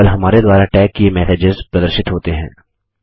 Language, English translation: Hindi, Only the messages that we tagged are displayed